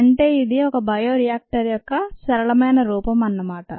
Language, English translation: Telugu, of course it's a simpler form of a bioreactor